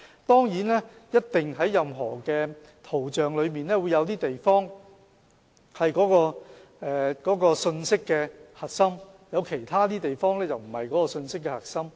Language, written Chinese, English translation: Cantonese, 當然，任何圖像上一定有些地方是信息的核心，而其他地方則不是信息的核心。, Certainly for any image some parts must carry the key message while other parts do not serve that purpose